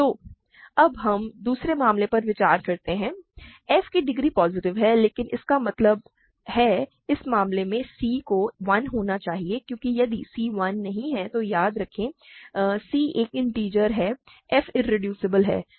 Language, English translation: Hindi, So, now we consider the second case, degree of f is positive, but; that means, in this case c must be 0 sorry c must be 1 because if c is not 1, remember c is an integer f is irreducible